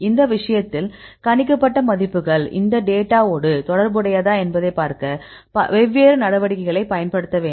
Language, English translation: Tamil, So, in this case we need to use different measures to see whether your predicted values are related with this experimental data